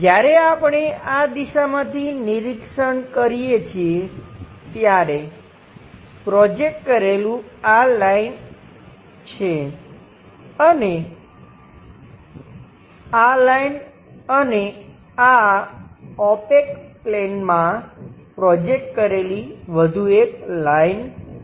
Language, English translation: Gujarati, [vocalized noise When we are observing from this direction, the projected part is this line, and this line and there is one more line projector onto this opaque plane